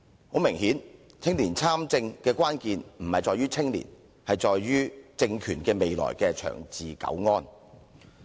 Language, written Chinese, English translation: Cantonese, 很明顯，青年參政的關鍵不在於青年，而是在於政權未來的長治久安。, Apparently the key to youth participation is not young people but the long - term governance of the Government